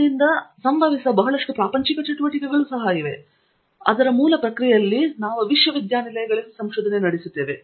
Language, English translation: Kannada, There are also lot of mundane activities that happen in that actually result in the process through which we do a research in universities and so on